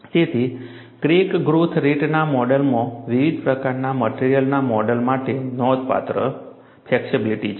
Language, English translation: Gujarati, So, the crack growth rate model has considerable flexibility to model a wide variety of materials